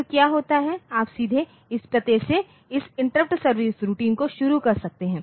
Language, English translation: Hindi, So, what happens is in you can you can start this interrupt service routine from these address directly